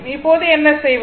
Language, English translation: Tamil, Now, you what you will do